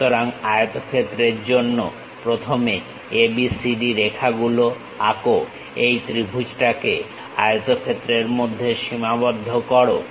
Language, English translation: Bengali, So, first for the rectangle draw ABCD lines enclose this triangle in this rectangle